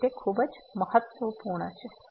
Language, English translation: Gujarati, So, that is very important